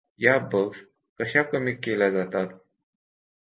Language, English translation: Marathi, How do they reduce the bugs